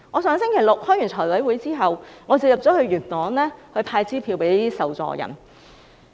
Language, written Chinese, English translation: Cantonese, 上星期六開完財務委員會會議後，我便前往元朗派發支票給受助人。, Last Saturday after the meeting of the Finance Committee I went to Yuen Long to give out cheques to recipients